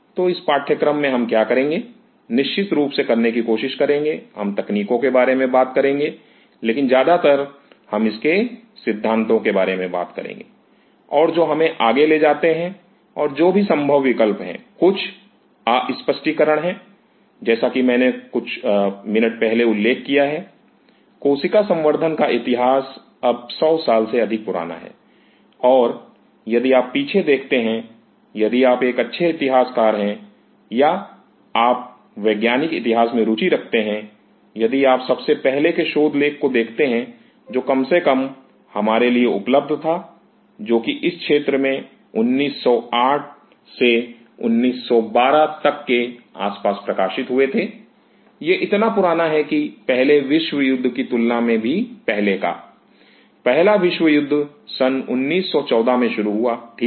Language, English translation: Hindi, So, in this course, what we will do; try to do of course, we will talk about the techniques, but mostly we will be talking about the philosophy and what drives us and what are the possible options some explored some unexplored, as I mentioned, just a couple of minutes back; the history of cell culture is now more than 100 years old and if you look back like if you are an good historian or if you are interested in scientific history, if you look back the very first paper which at least known to us which were published in this field were around 1908; 1912; it is that back even much earlier than the first world war; first world war started in nineteen fourteen right